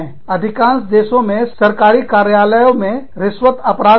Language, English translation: Hindi, In government offices, bribery is an offence, in most countries